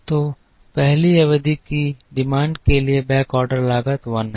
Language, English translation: Hindi, So, the backorder cost for the demand of the first period is 1